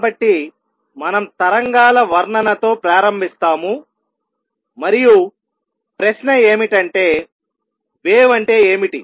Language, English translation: Telugu, So, we start with description of waves and the question is; what is a wave